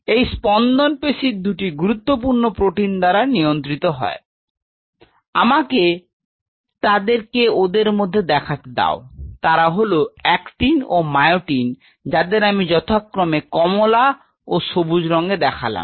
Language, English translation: Bengali, These beatings are governed by the two major proteins of muscle, which are now let me put them in those are actin and myosin which I am putting in two different color orange and green